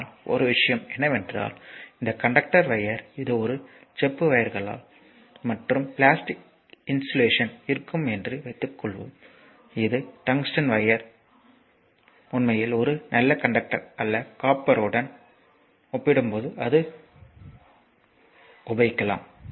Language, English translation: Tamil, But one thing is that that suppose this conductor wire suppose it is a your it is a your what you call that, copper wires and the plastic insulation will be there right and this is the tungsten, tungsten wire actually is not a good your what you call a conductor as compared to the copper will come to that right